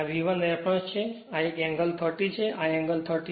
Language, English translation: Gujarati, This is my V 1 reference so, one angle is 30, this angle is 36